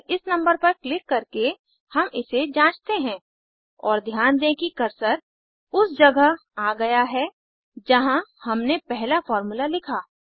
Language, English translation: Hindi, Let us test it by simply clicking on this number And notice that the cursor has jumped to the location where we wrote the first formula